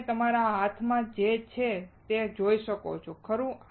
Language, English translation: Gujarati, You can see what I have in my hand, right